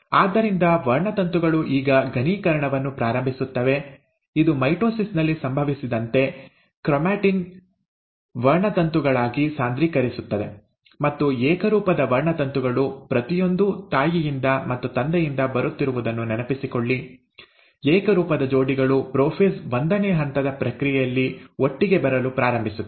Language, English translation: Kannada, So the chromosomes will start now condensing, as it happened in mitosis, the chromatin will condense into chromosomes, and the homologous chromosomes, remember one each coming from mother and one from the father, the pair, the homologous pairs will start coming together during the process of prophase one